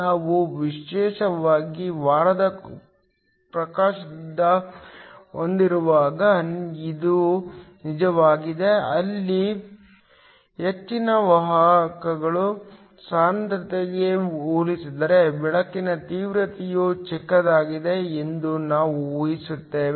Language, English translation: Kannada, This is especially true when we have week illumination, where we assume that the illumination intensity is smaller compared to the concentration of the majority carriers